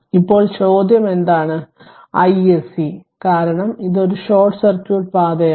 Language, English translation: Malayalam, Now, question is that what is your i s c because this is a short circuit path